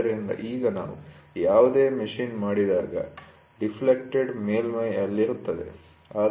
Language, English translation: Kannada, So, now, whatever you machine will be on a deflected surface